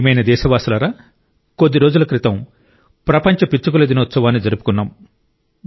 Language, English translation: Telugu, My dear countrymen, World Sparrow Day was celebrated just a few days ago